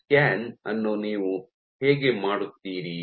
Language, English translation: Kannada, So, how do you do this scan